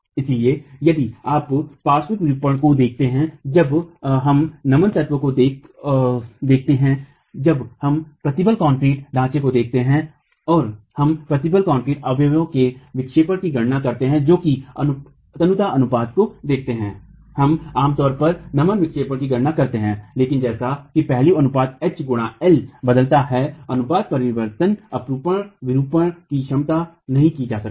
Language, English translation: Hindi, So, if you look at the lateral deformation, when we look at flexural elements, when we look at reinforced concrete frames and we calculate deflections in reinforced concrete members, given the slenderness ratios, we typically calculate the flexural deflection